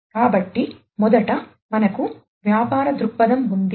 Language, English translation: Telugu, So, we have at first we have the business viewpoint